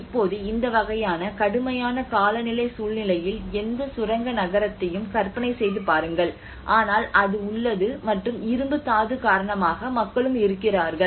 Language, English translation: Tamil, Now, just imagine any mining town in these kind of harsh climatic situation it exists the people are existed because of the iron ore